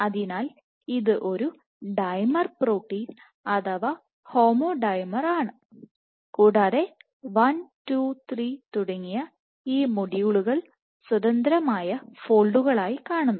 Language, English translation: Malayalam, So, it is a dimer protein homodimer and each of these modules 1, 2, 3 independently fold